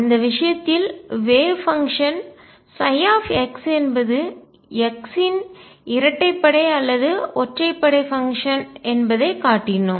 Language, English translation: Tamil, And in that case we showed that the wave function psi x was either even or odd function of x